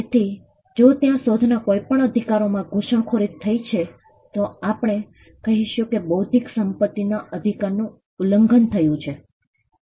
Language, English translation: Gujarati, So, if there is intrusion into any of these rights the invention, then we would say that there is an infringement of the intellectual property right